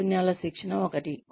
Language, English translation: Telugu, Skills training is one